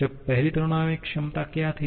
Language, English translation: Hindi, Now, what was the first thermodynamic potential that was U